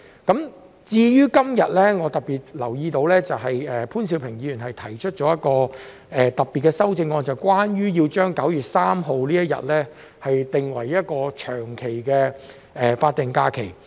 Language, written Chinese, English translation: Cantonese, 今天我特別留意到潘兆平議員提出了一項特別的修正案，要將9月3日定為一個長期的法定假期。, Today I have especially noticed that Mr POON Siu - ping has proposed a particular amendment to designate 3 September as a permanent statutory holiday